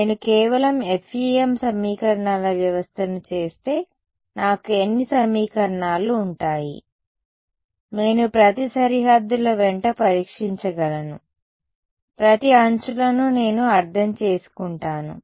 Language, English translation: Telugu, So, if I just do the FEM system of equations I will have how many equations; I can test along each of the boundaries I mean each of the edges